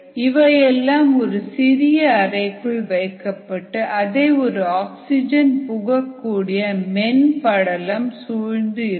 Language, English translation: Tamil, these are all enclosed in a small chamber surrounded by an oxygen permeable membrane